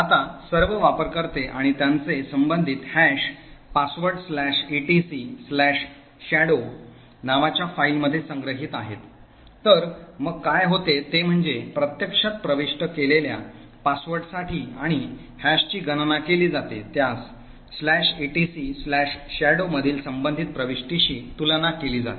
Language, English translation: Marathi, Now all users and their corresponding hashed passwords are stored in a file called etc/shadow, so what happens is that for the password that is actually entered, and hash computed this is compared with the corresponding user entry in the/etc /shadow